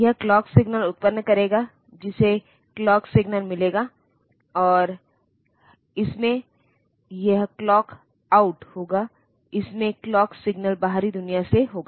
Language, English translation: Hindi, It will generate the clock signal, which will get the clock signal, and it will have this clock out it will it will it will have the clock signal from the outside world